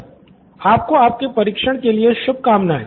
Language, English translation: Hindi, Okay good luck with your testing